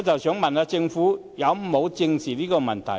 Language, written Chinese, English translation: Cantonese, 請問政府有否正視這問題呢？, May I ask whether the Government has squarely addressed this issue?